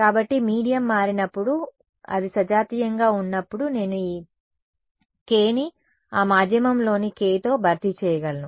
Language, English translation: Telugu, So, when the medium changed, but it remained homogenous then I could replace this k by the k of that medium